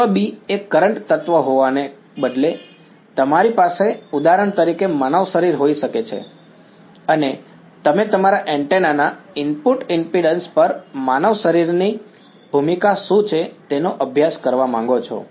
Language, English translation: Gujarati, Instead of element B being a current element, you could have, for example, a human body and you wanted to study what is the role of a human body on the input impedance of your antenna you are holding a mobile phone over here close to your head